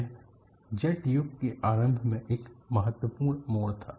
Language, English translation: Hindi, It was the turning point in the early start of the jet age